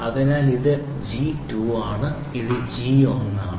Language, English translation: Malayalam, So, this is G 2 this is G 1